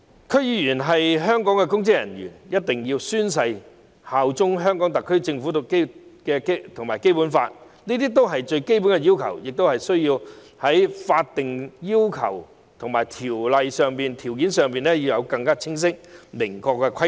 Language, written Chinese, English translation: Cantonese, 區議員是香港的公職人員，必須宣誓效忠香港特區政府和《基本法》，這些都是最基本的要求，必須在有關法例訂定更清晰、更明確的規定。, Given that DC members are public officers in Hong Kong they must swear allegiance to the HKSAR Government and the Basic Law . This is the most basic requirement and must be laid down in the relevant legislation in clearer and more precise terms